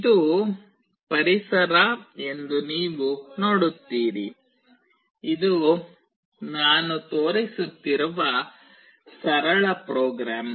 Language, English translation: Kannada, You see this is the environment; this is the simple program that I am showing